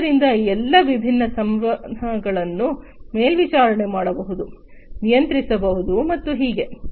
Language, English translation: Kannada, So, all these different interactions can be monitored, controlled, and so on